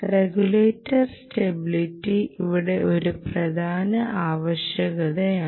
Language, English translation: Malayalam, regulator stability is an important requirement